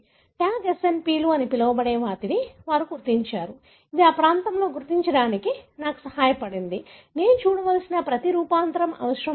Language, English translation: Telugu, They identified what is called as the Tag SNPs, which helped me to identify the region, not necessarily every variant that I have to look at it